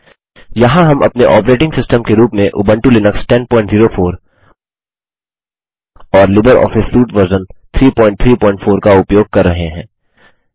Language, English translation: Hindi, Here we are using Ubuntu Linux 10.04 as our operating system and LibreOffice Suite version 3.3.4